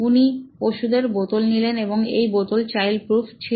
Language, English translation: Bengali, So, she took the bottle of medicine and this bottle of medicine is child proof